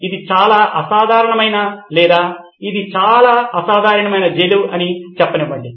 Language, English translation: Telugu, This is a very unconventional or let me say this was a very unconventional kind of prison